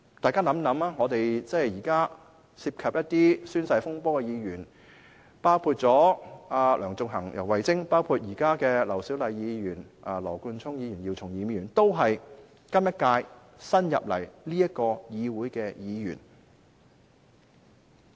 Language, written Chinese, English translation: Cantonese, 大家試想想，現時涉及宣誓風波的議員，包括先前的梁頌恆、游蕙禎，以及現在的劉小麗議員、羅冠聰議員及姚松炎議員，均是本屆新加入立法會的議員。, Think about this For Members involved in the oath - taking saga including Sixtus LEUNG and YAU Wai - ching formerly and incumbent Members such as Dr LAU Siu - lai Mr Nathan LAW and Dr YIU Chung - yim they are all new Members who joined the Legislative Council in this term